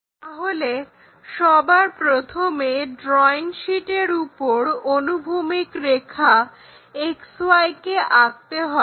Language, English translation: Bengali, So, on the drawing sheet first we have to draw a horizontal line XY; name this x axis, y axis